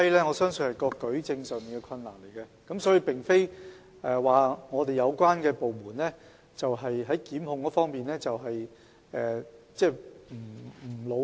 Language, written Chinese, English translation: Cantonese, 我相信是因為舉證上存在困難，而並非有關部門在檢控方面不努力。, I believe it is due to the difficulties in adducing evidence rather than any lack of effort in prosecution by the relevant departments